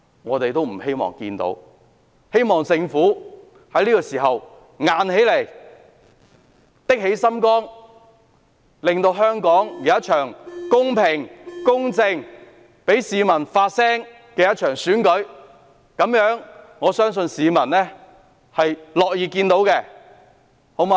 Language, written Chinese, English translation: Cantonese, 我希望政府在這時候可以硬起來，下定決心讓香港舉行一場公平、公正，同時讓市民發聲的選舉，我相信這是市民樂意看到的。, I hope that the Government will stand firm and be committed to holding a fair and just election that makes peoples voices heard . I trust that this is what members of the public would love to see